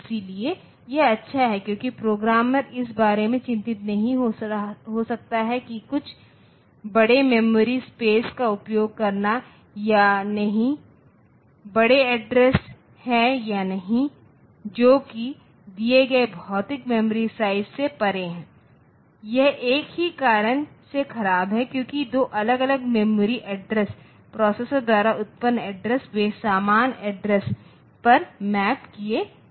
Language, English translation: Hindi, So, it may be good maybe bad it is good because the programmer may not be concerned about whether using some larger memory space or not larger address or not which is beyond the I given physical memory size at the same time it is bad because of the same reason that two different memory addresses generated by the processor they are getting mapped onto the same address